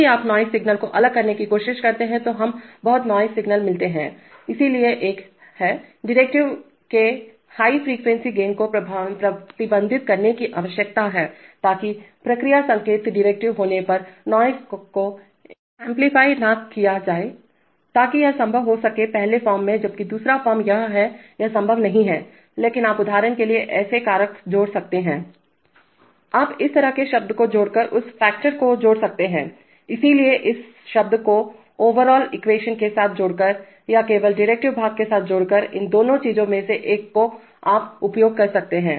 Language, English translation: Hindi, If you try to differentiate noisy signals, we get very noisy signals, so there is a, there is a need to restrict the high frequency gain of the derivative, so that noise is not amplified while the process signal gets differentiated, so that is possible in the first form while the second form it is, it is, as such not possible but you could add such factors for example, You could add that factor by adding such a term, so by adding such a term with the overall equation or by adding that only with the derivative part, one of these two things you can do